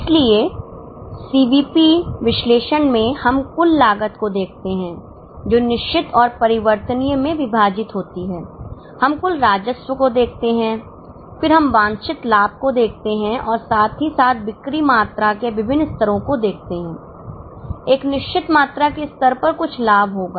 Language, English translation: Hindi, So, in CVP analysis we look at the total cost, divide it into fixed and variable, we look at the total revenue, then we look at the desired profit vis a vis various levels of sales volume